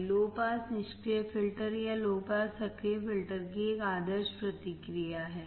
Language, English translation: Hindi, This is an ideal response of the low pass passive filter or low pass active filter